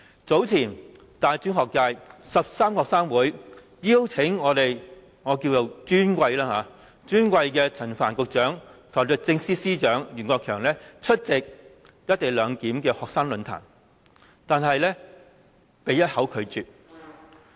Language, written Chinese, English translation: Cantonese, 早前大專學界13個學生會邀請我們"尊貴"的陳帆局長和律政司司長袁國強出席"一地兩檢"的學生論壇，但他們一口拒絕。, Earlier 13 student unions from the tertiary education sector invited our Honourable Secretary Frank CHAN and Honourable Secretary for Justice Rimsky YUEN to a student forum on the co - location arrangement . But they flatly refused the invitation